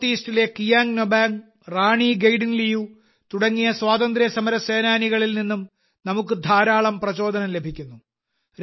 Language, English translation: Malayalam, We also get a lot of inspiration from freedom fighters like Kiang Nobang and Rani Gaidinliu in the North East